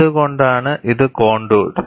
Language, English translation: Malayalam, Why it is contour